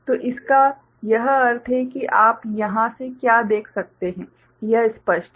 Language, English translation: Hindi, So, this is the meaning of it what you can see from here is it clear